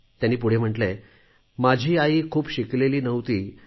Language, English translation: Marathi, He further writes, "My mother was not educated